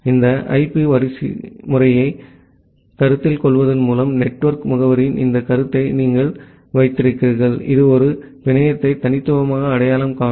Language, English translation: Tamil, By considering this IP hierarchy, where you have this concept of network address which will uniquely identify a network